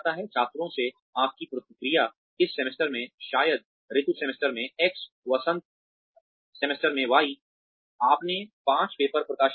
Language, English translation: Hindi, Your feedback from the students, in this semester say, X in autumn semester, Y in spring semester, you published five papers